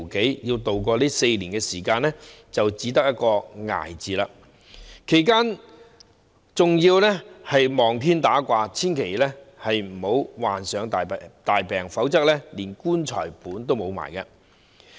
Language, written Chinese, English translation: Cantonese, 他們要渡過這4年時間，便只得一個字——"捱"，其間還要"望天打卦"，祈求自己千萬不要患上大病，否則連"棺材本"也會花掉。, To tide over these four years they cannot but in one word endure . In that period of time they also have to pray for the mercy of god that they will not get seriously ill otherwise they would have to spend their entire life savings